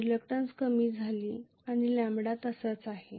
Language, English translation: Marathi, Reluctance has decreased lambda has remained the same